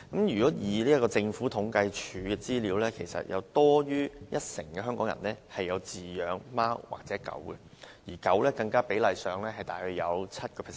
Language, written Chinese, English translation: Cantonese, 根據政府統計處的資料，有多於一成香港人飼養貓或狗，而養狗人士更約佔人口 7%。, According to the statistics provided by the Census and Statistics Department over 10 % of Hong Kong people keep dogs or cats as pets and among them about 7 % of the people keep dogs